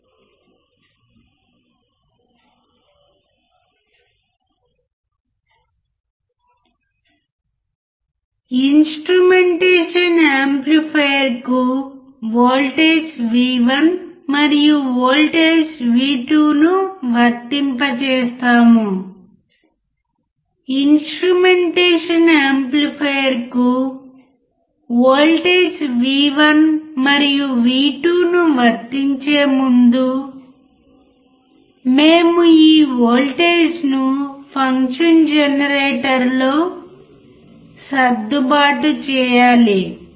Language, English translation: Telugu, We will apply the voltage V1 and voltage V2 to the instrumentation amplifier, before we apply voltage V1 and V2 to the instrumentation amplifier, we have to adjust this voltage in the function generator